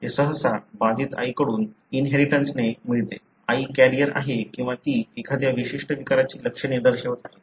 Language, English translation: Marathi, It is usually inherited from an affected mother; mother is carrier or she is showing the symptoms for a particular disorder